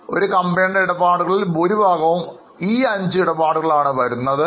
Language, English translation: Malayalam, Most of the transactions of companies are based on these transactions